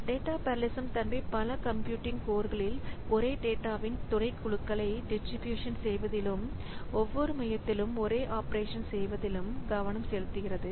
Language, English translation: Tamil, So, data parallelism, the focus is on distributing subsets of same data across multiple computing codes and performing the same operation on each code